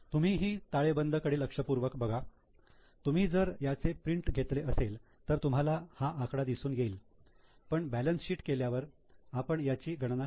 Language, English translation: Marathi, If you look at the balance sheet in case you have taken a print out, you can get this figure but we will calculate it once we do the balance sheet